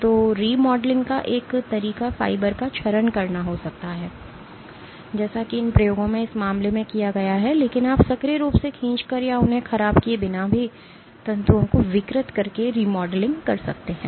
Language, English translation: Hindi, So, one way of remodeling can be degrading the fiber as is has been the case in this in these experiments, but you can also have remodeling by actively pulling or deforming the fibrils without degrading them